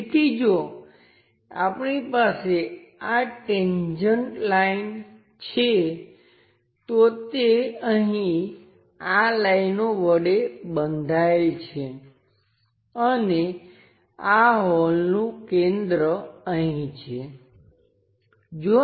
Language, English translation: Gujarati, So, if we are having these tangent lines, again its bounded by these lines and hole center here